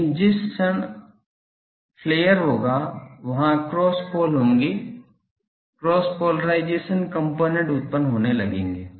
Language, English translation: Hindi, But the moment that gets flare there will be cross poles, cross polarization components start getting generated